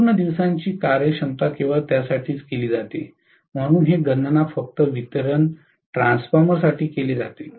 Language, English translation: Marathi, All day efficiency is done only for, so this is calculated only for distribution transformer